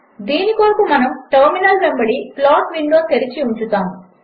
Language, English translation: Telugu, For this we shall keep the plot window open alongside the terminal